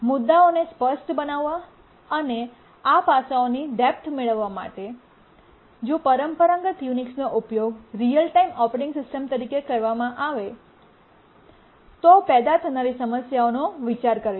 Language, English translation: Gujarati, To make the issues clear and to get a deeper insight into these aspects, we will consider what problems may occur if the traditional Unix is used as a real time operating system